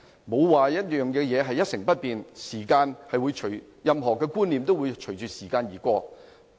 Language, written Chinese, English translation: Cantonese, 沒有事情會一成不變，任何觀念都會隨着時間而改變。, Nothing will remain unchanged forever . Any perception will undergo changes with the passage of time